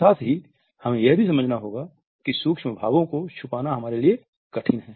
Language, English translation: Hindi, At the same time we have to understand that it is rather tough for us to conceal the micro expressions